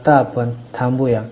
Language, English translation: Marathi, Right now let us stop